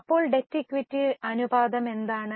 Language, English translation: Malayalam, So, what is a debt equity ratio